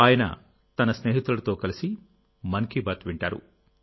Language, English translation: Telugu, We are connecting once again today for Mann Ki Baat